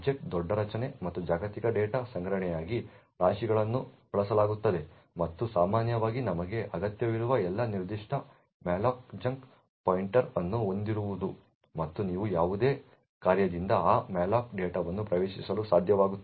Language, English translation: Kannada, Heaps are used for storage of objects large array and global data and typically all you require is to have a pointer to that particular malloc chunk and you would be able to access that malloc data from any function